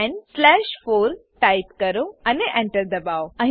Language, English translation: Gujarati, Type 10 slash 4 and press Enter